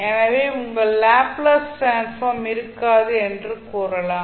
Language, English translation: Tamil, So, you will say that your Laplace transform will not exist